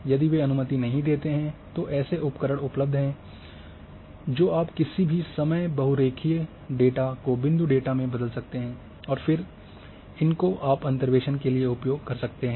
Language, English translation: Hindi, If they do not allow there are tools available you can convert any time a polyline data into point data and then you use for interpolation